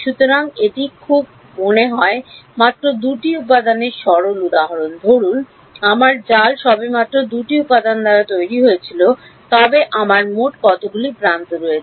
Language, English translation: Bengali, So, supposing this very simplistic example of just 2 elements, supposing my mesh was just made of 2 elements then how many how many edges do I have in total